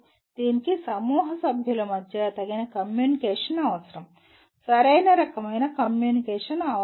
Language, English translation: Telugu, That requires adequate communication between the group members, the right kind of communication